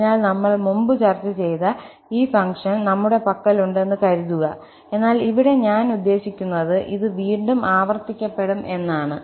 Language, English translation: Malayalam, So, suppose, we have this function which we have also discussed before, but here, I mean this will be repeated again